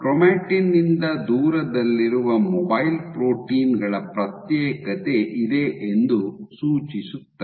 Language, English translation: Kannada, So, suggesting that there is a segregation of mobile proteins away from chromatin